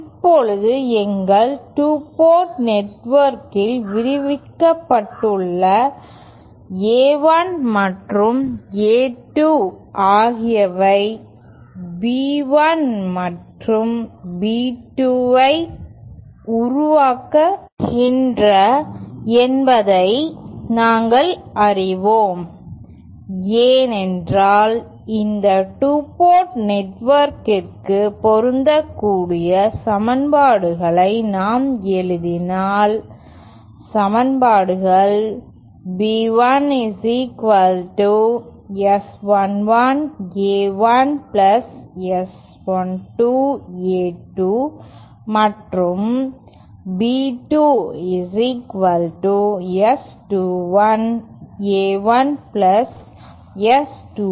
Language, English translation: Tamil, Now, we know that A1 and A2 give rise to B1 and B2 as described in our 2 port network, is not it because if we write down the equations as applicable to just this 2 port network, the equations are as B1 is equal to S11 A1 + S12 A2 and B2 is equal to S21 A1 + S22 A2